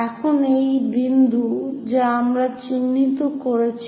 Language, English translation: Bengali, Now, this is the point what we are identifying